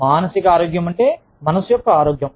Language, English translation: Telugu, Psychological health means, mental health